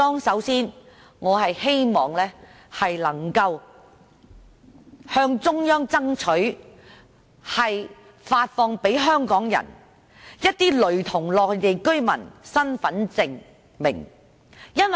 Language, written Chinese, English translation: Cantonese, 首先，我希望能夠向中央爭取為香港人發放一些類似內地居民身份證的身份證明。, First I hope to strive for the Central Authorities issuing of an identification to Hong Kong people which is similar to the identity card for Mainland people